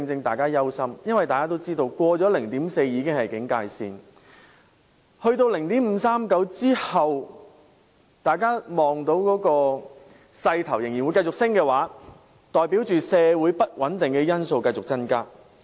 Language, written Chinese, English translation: Cantonese, 大家如看到有關數字在達到 0.539 後仍有繼續上升的勢頭，代表社會不穩定的因素會繼續增加。, An upward trend after reaching 0.539 means the factors leading to social instability will continue to increase